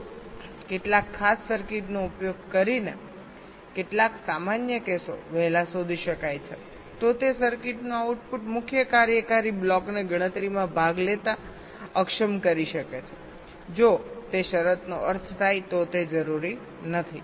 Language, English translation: Gujarati, if some of the common cases can be detected early by using some special circuits, then the output of that circuit can disable the main functional block from participating in the calculation if that condition holds, which means it is not required